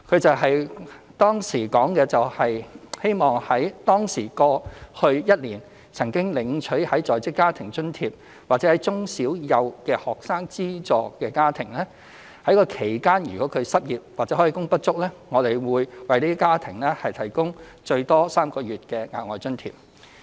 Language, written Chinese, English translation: Cantonese, 政府當時說，希望在當時計的過去一年，對於那些曾經領取在職家庭津貼的住戶或中小幼的學生資助家庭，其間如果失業或開工不足，我們會為這些家庭提供最多3個月的額外津貼。, Back then the Government indicated the hope to provide additional allowances capped at three months of payment to households which had received Working Family Allowance WFA or families which had received financial assistance for kindergarten primary and secondary students in the preceding year counting back from that time if they were unemployed or underemployed during that period